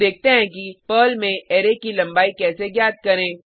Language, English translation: Hindi, In Perl, it is not necessary to declare the length of an array